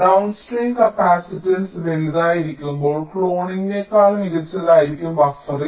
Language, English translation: Malayalam, when the downstream capacitance is large, buffering can be better than cloning